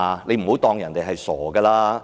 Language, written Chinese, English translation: Cantonese, 不要當人家是傻子。, Do not take them for a fool